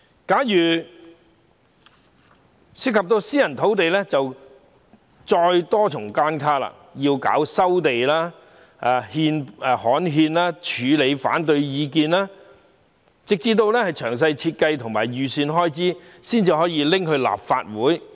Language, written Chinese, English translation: Cantonese, 假如涉及私人土地，就有多重關卡，要先收地、刊憲、處理反對意見等，直至擬備好詳細設計和預算開支，才可提交立法會。, If any private lot is involved there are multiple hurdles including land resumption gazetting dealing with objections and the like . The proposal can only be submitted to the Legislative Council when the detailed designs and estimated expenditure are well prepared